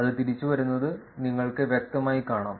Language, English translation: Malayalam, And you can clearly see that it's coming back